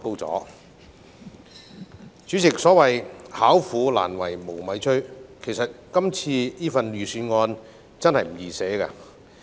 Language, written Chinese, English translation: Cantonese, 代理主席，所謂"巧婦難為無米炊"，其實草擬這份預算案真的不容易。, Deputy President the cleverest housewife cannot cook without rice so there is really nothing easy about drafting this Budget